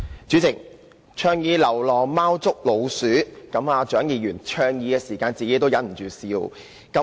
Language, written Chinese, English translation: Cantonese, 主席，蔣議員倡議流浪貓捉老鼠時，自己也忍不住笑。, President Dr CHIANG could not help laughing when she raised the proposal to use feral cats to prey on rodents